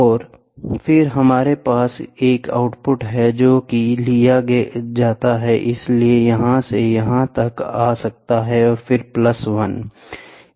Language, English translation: Hindi, And then what we have is we have an output which is taken so, this from here it can come to here and then plus 1